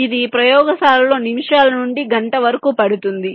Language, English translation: Telugu, it can take minutes to an hour may be in the lab